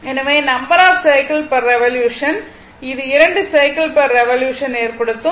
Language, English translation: Tamil, So, in this case, your number of cycles per revolution means it will make 2 cycles per revolution